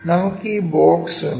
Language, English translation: Malayalam, We have this box